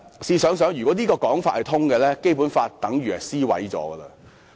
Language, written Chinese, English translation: Cantonese, 試想想，如果這種說法說得通，《基本法》等於已被燒毀。, If this explanation as tenable it is tantamount to burning the Basic Law